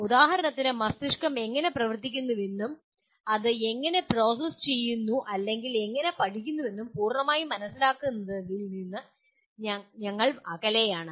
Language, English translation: Malayalam, For example we are far from fully understanding how brain functions and how does it process or how does it learn